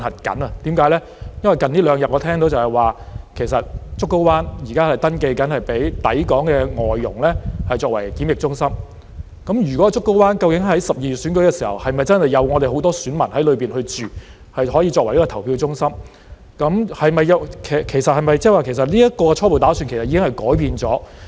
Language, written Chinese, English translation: Cantonese, 因為近兩天，我聽到現時正在登記，讓竹篙灣作為抵港外傭的檢疫中心，究竟在12月選舉時，是否真的有很多選民在那裏居住，可以作為投票中心，其實是否即是這個初步打算已經改變了？, It is because in the past two days I have heard that the Pennys Bay Quarantine Centre will be used as a quarantine centre for foreign domestic helpers arriving in Hong Kong and it is accepting booking . Will there really be a lot of electors staying there when the election is conducted in December such that it can be used as a polling centre? . Or does it imply that this preliminary plan has already been changed?